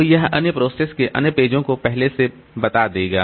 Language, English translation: Hindi, So, it will preempt other pages of other processes